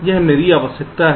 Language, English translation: Hindi, that is the idea